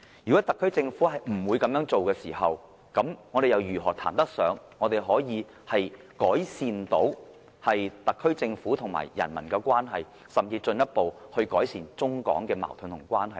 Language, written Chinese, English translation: Cantonese, 如果特區政府不會這樣做，我們又如何談得上改善特區政府與人民的關係，甚至進一步改善中港矛盾和關係呢？, If no how can we talk about improving the relationship between the SAR Government and the people or even easing the China - Hong Kong conflicts and improving the relationship between the two places?